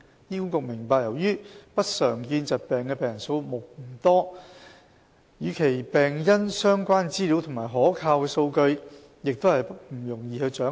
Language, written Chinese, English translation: Cantonese, 醫管局明白由於不常見疾病的病人數目不多，與其病因相關的資料及可靠數據亦不容易掌握。, HA understands that due to the small number of patients with uncommon disorders it is not easy to get hold of reliable information and data on the causes of such diseases